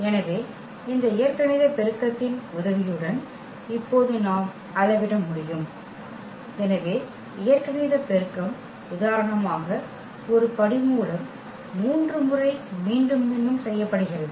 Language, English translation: Tamil, So, that we can now quantify with the help of this algebraic multiplicity; so, algebraic multiplicity if for instance one root is repeated 3 times